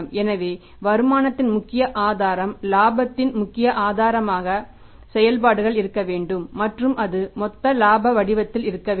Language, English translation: Tamil, So, major source of the income, major source of the profit must be the operations and that to be in the form of gross profit